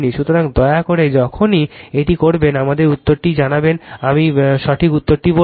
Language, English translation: Bengali, So, please do it whenever you do it, let us know the answer I will tell you the correct answer right